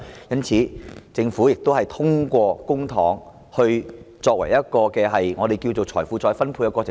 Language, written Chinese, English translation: Cantonese, 因此，政府通過公帑作一個我們稱為"財富再分配"的過程。, Therefore the Government has acted to effect a process of wealth redistribution as we call it by means of public money